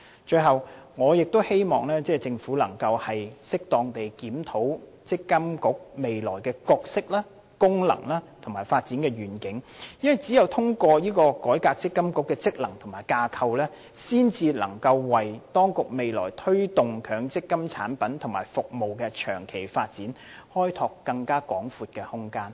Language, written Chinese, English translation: Cantonese, 最後，我亦希望政府能夠適當地檢討積金局未來的角色、功能和發展願景，因為只有透過改革積金局的職能和架構，才能為當局未來推動強積金產品及服務的長期發展開拓更廣闊的空間。, Finally I also hope that the Government will conduct a review of the future role function and vision of development of MPFA in an appropriate manner . This is because reforming the function and structure of MPFA is the only means to facilitate the Administration in exploring more extensive room in promoting the long - term development of MPF products and services in the future